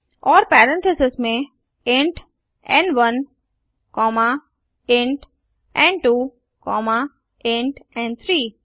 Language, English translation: Hindi, AndWithin parentheses int n1 comma int n2 comma int n3